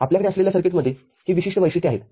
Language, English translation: Marathi, And the circuit that we are having has got these characteristics